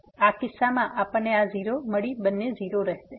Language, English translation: Gujarati, So, in this case we got this 0 both are 0